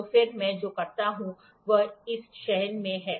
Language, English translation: Hindi, So, then what I do is in this select